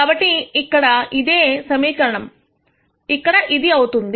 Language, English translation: Telugu, So, the same equation becomes this here